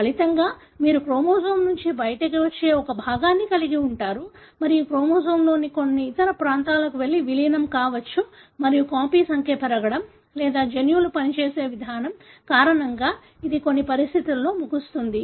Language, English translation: Telugu, As a result, you have a fragment that comes out of the chromosome, and, may go and integrate into some other region of the chromosome and that may end up in some conditions because of increase in the copy number, or the way the genes function is altered and depending on what conditions you are looking at